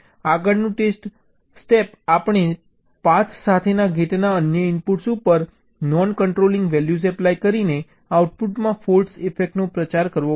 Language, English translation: Gujarati, ok, next step, we have to propagate the fault effect to the output by applying non controlling values to the other inputs of gate along the path